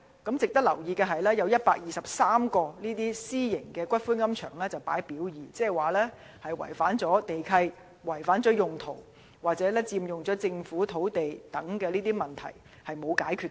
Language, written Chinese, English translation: Cantonese, 值得留意的是，有123間私營龕場列於"表二"，即它們涉及違反地契條款、規劃用途或佔用政府土地等問題，而問題仍未解決。, It should be noted that 123 private columbaria are listed under Part B meaning that they are not compliant with land leases or land use requirements or they are occupying Government land and the problems are yet to be resolved